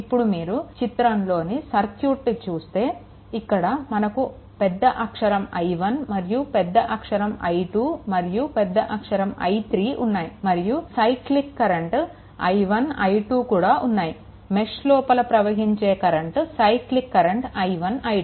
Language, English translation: Telugu, So, here if you look into the circuit, if you look into the circuit, then this current capital I 1, we have taken this is capital I 2 we have taken and this is capital I 3 we have taken, right and the and the cyclic current i 1, i 2, we have taken, this isi 1 and this is i 2, the cyclic current we have taken, right